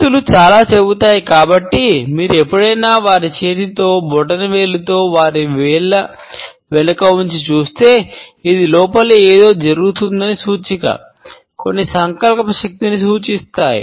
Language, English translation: Telugu, As hands will tell so much, if you ever see someone with their hand, with their thumb tucked in behind their fingers like this, this is a indicator of something going on inside, the some represents a willpower